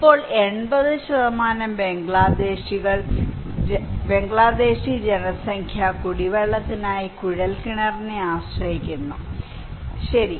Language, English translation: Malayalam, Now, more than 80% Bangladeshi population depends on tube well for drinking water, okay